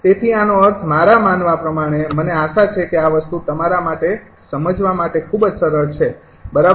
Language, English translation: Gujarati, so from this, i mean, i hope, ah, this thing is very easy for you to understand, right